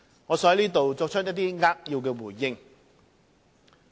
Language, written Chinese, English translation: Cantonese, 我想在此作扼要回應。, I would like to give a concise response here